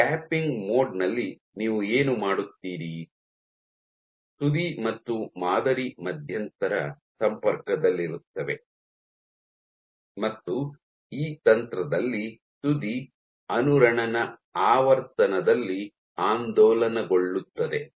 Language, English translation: Kannada, So, in tapping mode what you do is your tip and sample are in intermittent contact and in this technique the tip is oscillated at resonance frequency